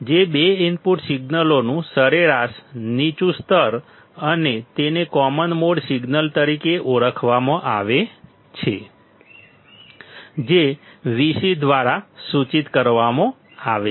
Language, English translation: Gujarati, Which is, the average low level of the two input signals and is called as the common mode signal, denoted by Vc